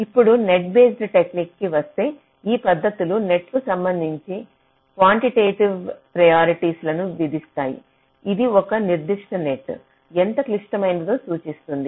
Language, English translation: Telugu, now coming to the net based techniques, these approaches impose quantitative priorities with respect to net weights, which can indicate how critical a particular net is